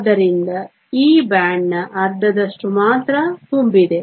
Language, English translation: Kannada, So, hence only half of this band is full